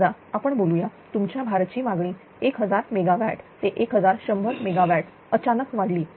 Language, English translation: Marathi, Suppose your load demand has suddenly increased to say from 1000 megawatt to 1100 megawatt